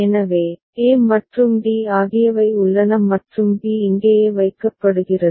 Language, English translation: Tamil, So, a and d are there and b is put over here right